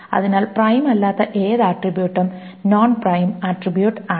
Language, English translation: Malayalam, So any attribute that is not prime is a non prime attribute